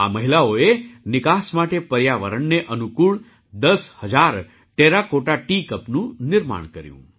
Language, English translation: Gujarati, These women crafted ten thousand Ecofriendly Terracotta Tea Cups for export